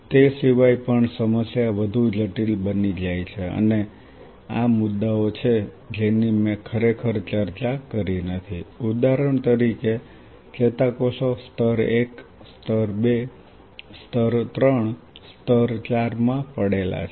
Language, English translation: Gujarati, Apart from it the problem becomes way more complex and these are the points which I haven in really discussed is say for example neurons are lying in layers layer 1, layer 2, layer 3, layer 4